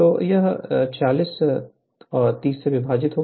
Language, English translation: Hindi, So, is equal to this 46 divided by 30